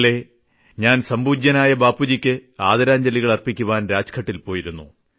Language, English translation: Malayalam, Yesterday, I went to pay homage to respected Bapu at Rajghat